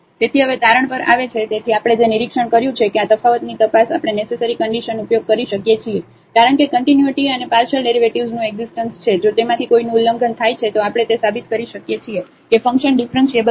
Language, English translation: Gujarati, So, coming to the conclusion now; so, what we have observed that the investigation of this differentiability we can use the necessary conditions because the continuity and the existence of partial derivative; if one of them is violated then we can prove that the function is not differentiable